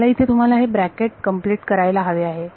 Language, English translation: Marathi, I want you to complete this bracket over here